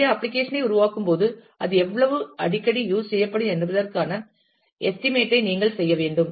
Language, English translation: Tamil, So, while developing the application you will have to make an estimate of how often it will be used